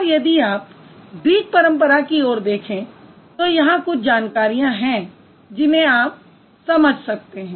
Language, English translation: Hindi, And if you look at the Greek tradition, here are a few information